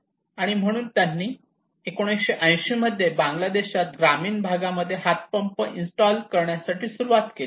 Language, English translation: Marathi, So in 1980s they started to install hand pumps in rural areas in Bangladesh to promote